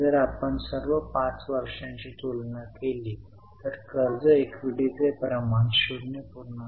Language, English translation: Marathi, If you compare all the 5 years, the debt equity ratio increased the bid to 0